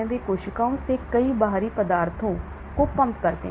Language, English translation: Hindi, they pump out many foreign substances out of the cells